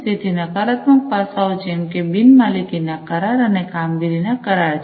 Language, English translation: Gujarati, So, negative aspects such as non ownership contracts, performance contracts